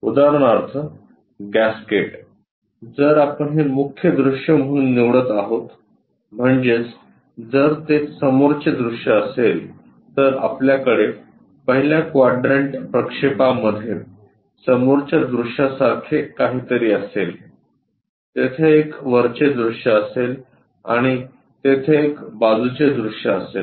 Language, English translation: Marathi, Gasket for example, if we are picking this one as the main view, that means if that is the front view, then we will have in the first quadrant projection something like a front view, there will be a top view and there will be a side view